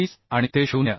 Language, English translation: Marathi, 22 and it is more than 0